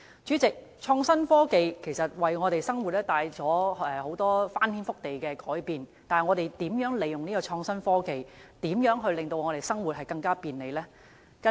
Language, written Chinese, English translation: Cantonese, 主席，創新科技其實會為我們的生活帶來翻天覆地的改變，但我們可以如何利用創新科技，使我們的生活更便利？, President innovation and technology will actually bring dynastic changes to our lives . How can we make use of innovation and technology to render our living more convenient?